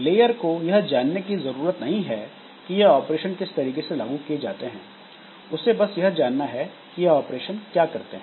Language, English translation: Hindi, So, a layer does not need to know how these operations are implemented, needs to know only what these operations do